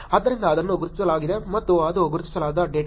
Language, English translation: Kannada, So that is identified and that is un identified data